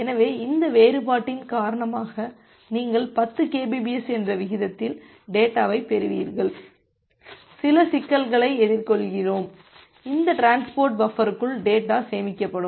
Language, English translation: Tamil, So, you will receive the data at a rate of 10 kbps because of this difference, we face certain problems because the data that will get buffered inside this transport buffer